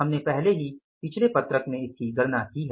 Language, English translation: Hindi, We have already calculated in the previous sheets